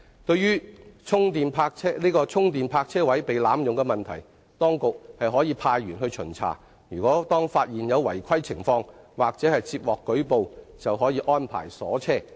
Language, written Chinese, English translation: Cantonese, 對於充電泊車位被濫用問題，當局可派員巡查，當發現有違規情況或接獲舉報，應安排鎖車。, To tackle the misuse of parking spaces with charging facilities the authorities can conduct site inspections . If contraventions of rules are found or if complaints are received the vehicles concerned should be impounded